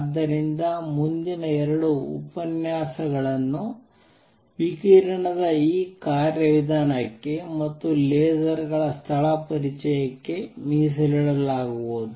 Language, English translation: Kannada, So, next 2 lectures are going to be devoted to this mechanism of radiation and place introduction to lasers